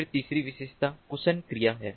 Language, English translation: Hindi, then the third feature is malfunctioning